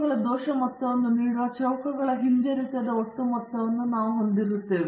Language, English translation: Kannada, So, we have the total sum of squares minus the regression sum of squares giving the error sum of squares